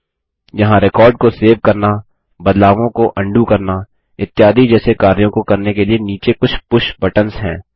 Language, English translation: Hindi, Here are some push buttons at the bottom for performing actions like saving a record, undoing the changes etc